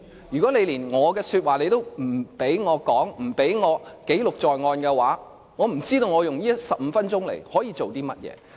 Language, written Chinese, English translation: Cantonese, 如果連話也不准我說，不准我記錄在案，我不知道我可以用這15分鐘來做甚麼？, If you still stop me from airing my grievance and putting this in record I do not know what I can do in these 15 minutes